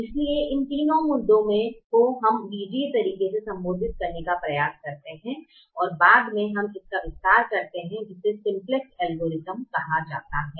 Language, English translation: Hindi, so these three issues we try to address in an algebraic way and later we extend that to what is called the simplex algorithm